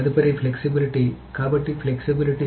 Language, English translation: Telugu, The next is flexibility